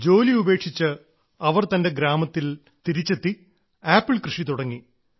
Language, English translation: Malayalam, She returned to her village quitting this and started farming apple